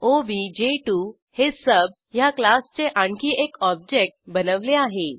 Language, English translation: Marathi, Then we create another object of class sub as obj2